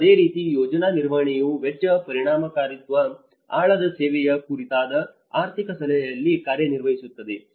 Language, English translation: Kannada, And similarly the project management works at cost effectiveness and financial advice on depth servicing